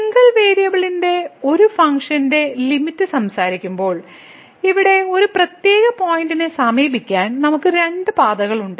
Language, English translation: Malayalam, So, while talking the limit for a function of single variable, we had two paths to approach a particular point here on axis like in this case